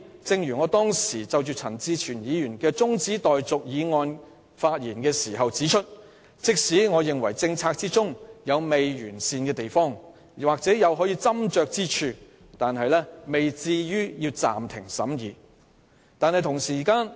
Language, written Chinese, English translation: Cantonese, 正如我當時就陳志全議員動議的中止待續議案發言時指出，即使擬議決議案有不完善或可斟酌之處，但也未至於要暫停審議。, As I have said in my speech in respect of Mr CHAN Chi - chuens adjournment motion even if the proposed resolution was not perfect and might need to be refined suspension of scrutiny might not be necessary